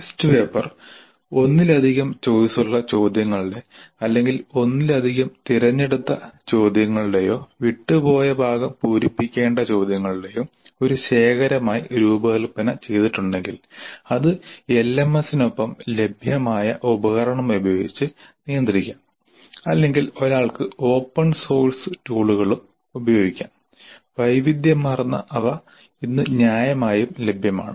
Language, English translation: Malayalam, If the test paper is designed as a collection of multiple choice questions or multiple select questions or fill in the blank items, then that can be administered using a tool available with LMS or one could also use open source tools which are also available today in fair variety